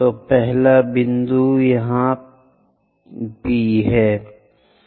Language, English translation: Hindi, So, the first point is here P again